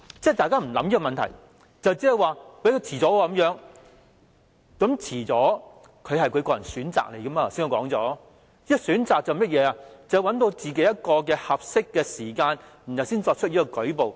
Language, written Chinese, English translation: Cantonese, 大家沒有考慮這個問題，只是說有人會推遲，但我剛才也說過，延遲也是他們的個人選擇，因為要選擇一個合適時間才作出舉報。, Members have never thought about this question but only said that some people would put things off . However I also said just now that deferral is also their personal choice because they have to choose a suitable time to make a report